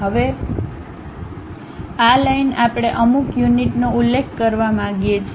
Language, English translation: Gujarati, Now, this line we would like to specify certain units